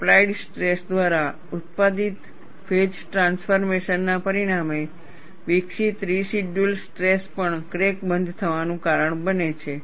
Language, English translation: Gujarati, The residual strain, developed as a result of a phase transformation produced by applied stress, also causes crack closure